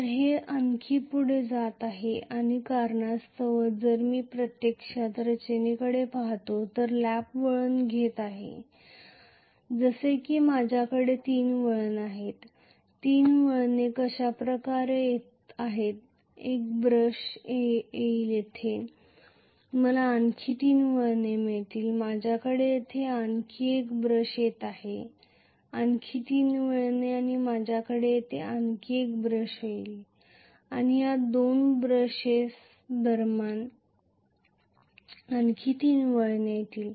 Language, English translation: Marathi, So it is going to go further and further so because of which if I actually look at the structure, I am going to have the lap winding looking as though if I have three turns, three turns are going to come like this, one brush will come up here, three more turns I will have one more brush coming up here, three more turns and I will have one more brush coming up here, and three more turns between these two brushes